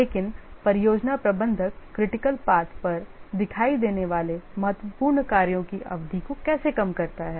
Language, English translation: Hindi, But how does the project manager reduce the duration of the critical tasks that appear on the critical path